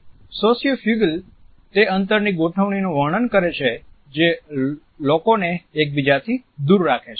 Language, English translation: Gujarati, Sociofugal describes those space arrangements that push people apart away from each other